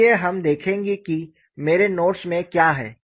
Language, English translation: Hindi, So, we will have a look at what I have in my notes